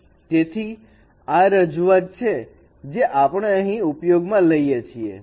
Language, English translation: Gujarati, So say this is a representation we are using here